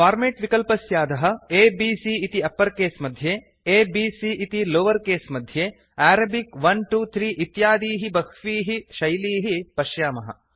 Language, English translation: Sanskrit, Under the Format option, you see many formats like A B C in uppercase, a b c in lowercase, Arabic 1 2 3 and many more